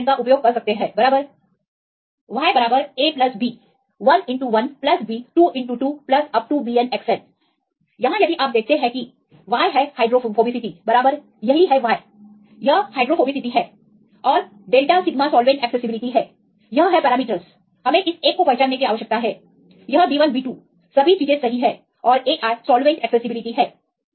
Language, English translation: Hindi, You can use this equation right y equal to a plus b 1 x 1 plus b 2 x 2 plus up to bn xn here if you see y is the hydrophobicity right here this is Y is hydrophobicity and delta sigma is the solvent accessibility this is the parameters we need to identify this one right this is the b 1 b 2 all these things right and ai is the solvent accessibility